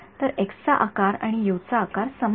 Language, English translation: Marathi, So, the number of the size of x and the size of u is identical